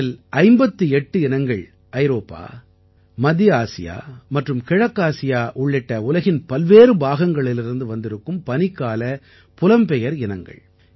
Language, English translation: Tamil, And of these, 58 species happen to be winter migrants from different parts of the world including Europe, Central Asia and East Asia